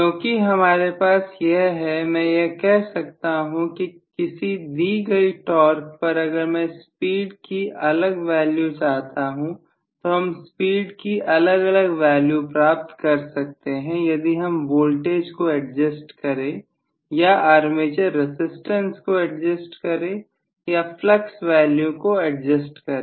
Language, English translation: Hindi, Now because I have this I should be able to say at the given torque if I want to get different values of speed I should be able to get different values of speed either by adjusting the voltage or by adjusting the armature resistance or by adjusting the flux value